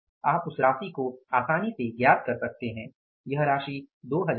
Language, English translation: Hindi, So, you can understand easily how much will it be it will come up as 2000